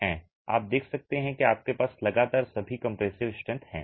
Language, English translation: Hindi, You can see that consistently at all compressive strength you have